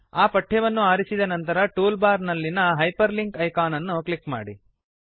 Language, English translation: Kannada, After selecting the text, click on the Hyperlink icon in the toolbar